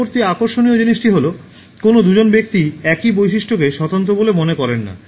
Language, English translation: Bengali, The next interesting thing is like, no two people find the same feature distinctive